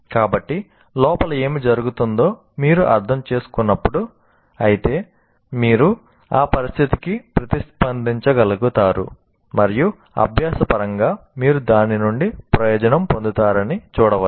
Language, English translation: Telugu, So when you understand what is happening inside, however superficially, you will be able to react to that situation and see that you benefit from that in terms of learning